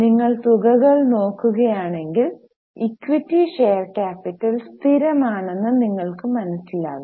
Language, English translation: Malayalam, If you look at the amounts, you will realize that equity share capital is constant